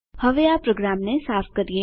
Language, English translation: Gujarati, Lets now clear this program